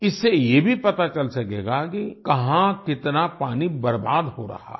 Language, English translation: Hindi, From this it will also be ascertained where and how much water is being wasted